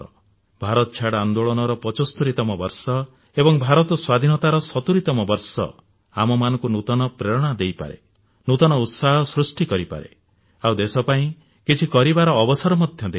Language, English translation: Odia, The 75th year of Quit India and 70th year of Independence can be source of new inspiration, source of new enthusiasm and an occasion to take a pledge to do something for our nation